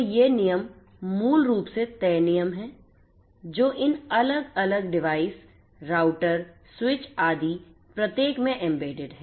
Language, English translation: Hindi, So, and these rules basically are fixed rules which are embedded in each of these different devices the routers, switches and so on